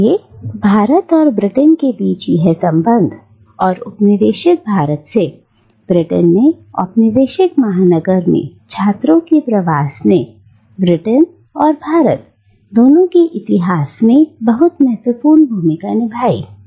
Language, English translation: Hindi, So this connection between India and Britain and the migration of students from the colonised India to the colonial metropolis in Britain has played a really very significant role in the history, both of Britain and of India